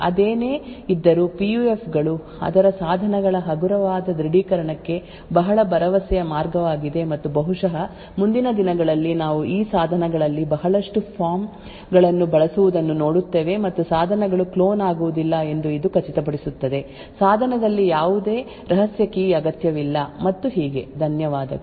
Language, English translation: Kannada, Nevertheless PUFs are very promising way for lightweight authentication of its devices and perhaps in the near future we would actually see a lot of forms being used in these devices and this would ensure that the devices will not get cloned, no secret key is required in the device and so on, thank you